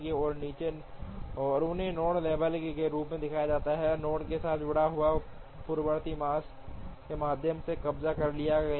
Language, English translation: Hindi, And they are shown as node labels, associated with the node, the precedence is captured through the arcs